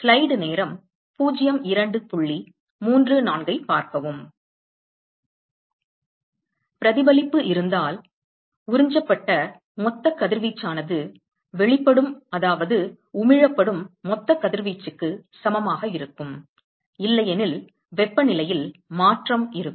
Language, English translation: Tamil, Supposing if reflection is there, supposing if reflection is present, then the total radiation absorbed equal to total radiation emitted; otherwise, there is going to be change in the temperature